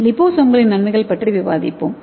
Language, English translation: Tamil, So let us see the types of liposomes